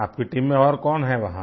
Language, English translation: Hindi, Who else is there in your team